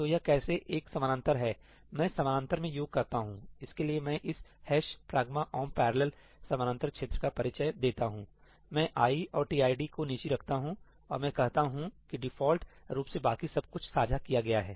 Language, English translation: Hindi, So, this is how a parallelize it, I do the sum in parallel; for that I introduce this hash pragma omp parallel region, I keep i and tid as private and I say default everything else is shared